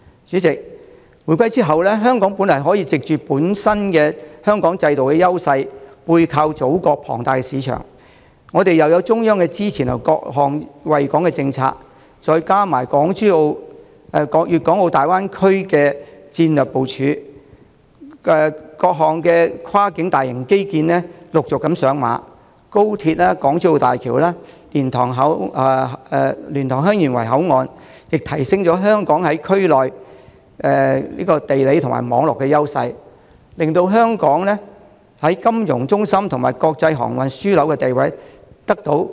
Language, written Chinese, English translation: Cantonese, 主席，回歸後，香港本來可藉着本身的制度優勢，祖國龐大的市場，中央各項惠港政策的支持，再加上國家粵港澳大灣區的戰略部署，各項陸續上馬的跨境大型基建，以及高鐵、港珠澳大橋、蓮塘/香園圍口岸對我們在區內地理和網絡優勢的提升，進一步加強我們國際金融中心和國際航運樞紐的地位。, Chairman after the reunification Hong Kong could have further strengthened its status as an international financial centre and international maritime and aviation hub given its institutional strengths the sizeable market of the Motherland the support of the Central Authorities through various policies beneficial to Hong Kong and the national strategic planning of the Guangdong - Hong Kong - Macao Greater Bay Area which encompasses the successive commencement of various major cross - boundary infrastructure projects and the Guangzhou - Shenzhen - Hong Kong Express Rail Link XRL the Hong Kong - Zhuhai - Macao Bridge HZMB and the boundary control point at LiantangHeung Yuen Waiwhich enhance our geographic and network advantages in the area . However the good days did not last long